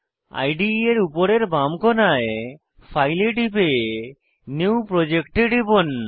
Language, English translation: Bengali, On the top left corner of the IDE, Click on File and click on New Project